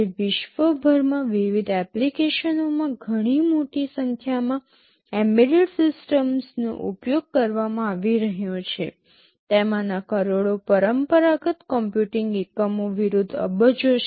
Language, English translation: Gujarati, Today a very large number of embedded systems are being used all over the world in various applications, billions of them versus millions of conventional computing units